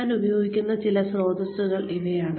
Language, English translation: Malayalam, These are some of the sources, that I will be using